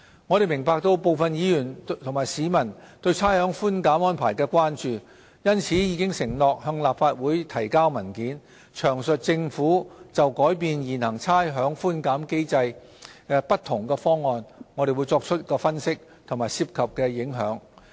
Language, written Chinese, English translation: Cantonese, 我們明白部分議員和市民對差餉寬減安排的關注，因此已承諾向立法會提交文件，詳述政府就改變現行差餉寬減機制不同方案所作的分析和涉及的影響。, We understand the concerns of some Members and members of the public over the rates concession arrangement . We have therefore undertaken to provide a paper to the Legislative Council detailing the Governments analysis of options to change the current rates concession mechanism and the implications thereof